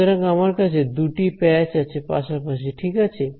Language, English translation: Bengali, So, I have two patches that are side by side right